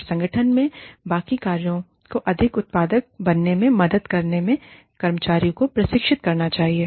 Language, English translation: Hindi, And, should train the employees, in helping the rest of the functions, in the organization, become more productive